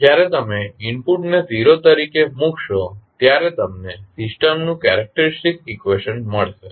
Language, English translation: Gujarati, When you put the input as 0, so you got the the characteristic equation of the system